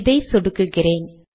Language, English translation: Tamil, Now let me click this